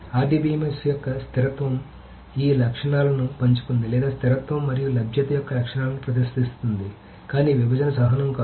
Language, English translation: Telugu, So, RDBMS has shared these properties of consistency or rather exhibit the properties of consistency and availability, but not partition tolerance